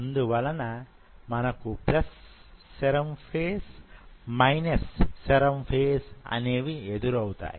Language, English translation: Telugu, So you have plus serum and minus serum phase